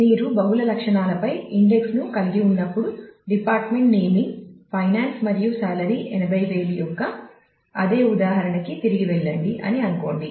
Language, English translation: Telugu, So, when you have index on multiple attributes say again going back to that same example of department naming finance and salary being 80000